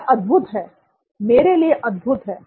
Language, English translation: Hindi, For me, this is amazing